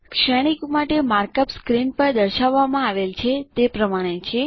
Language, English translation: Gujarati, The markup for the matrix is as shown on the screen